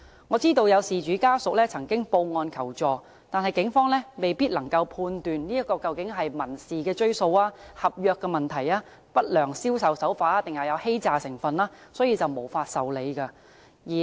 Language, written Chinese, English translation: Cantonese, 我知道有事主家屬曾報案求助，但警方由於未必能判斷這究竟是民事追訴、合約問題、不良銷售手法還是有欺詐成分而無法受理。, I know that some family members of victims have made reports to the Police and sought assistance . However since the Police might be unable to judge whether civil litigations contract issues unscrupulous sales practices or elements of fraud are involved the cases cannot be processed